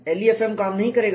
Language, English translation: Hindi, LEFM will not do